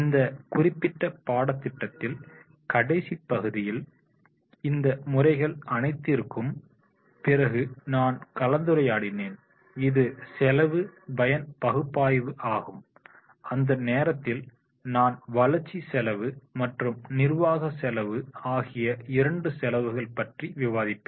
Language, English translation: Tamil, I will be also discussing after all these methods in the last part of this particular course curriculum and that is a cost benefit analysis, that time I will be discussing about the both the cost, development cost and administrative cost